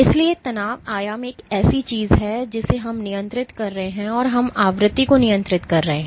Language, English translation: Hindi, So, strain amplitude is one thing we are controlling and we are controlling the frequency